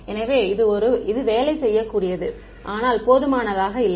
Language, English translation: Tamil, So, it is workable, but not good enough